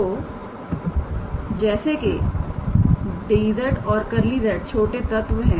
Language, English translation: Hindi, So, since dz and del z they are a small element